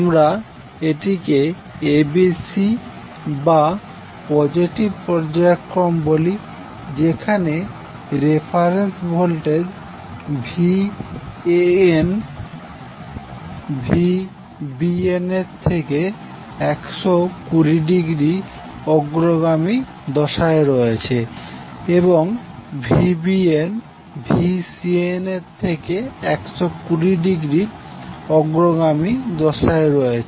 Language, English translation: Bengali, In first sequence we discuss that we call it as ABC or positive sequence where the reference voltage that is VAN is leading VAB sorry VBN by 120 degree and VBN is leading VCN by again 120 degree